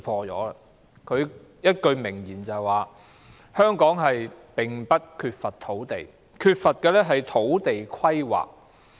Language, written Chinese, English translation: Cantonese, 他有一句名言是："香港並不缺乏土地，缺乏的是土地規劃。, He has this famous line There is no lack of land in Hong Kong but a lack of land planning